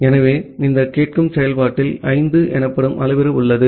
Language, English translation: Tamil, So, this listen function has a parameter called 5 here